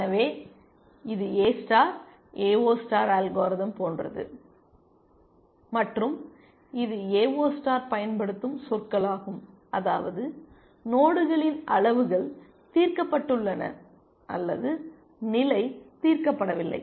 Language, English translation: Tamil, So, it is very much like the A star, AO star algorithm and this is the terminology we use in the AO star also that is we had nodes levels solved or not level solved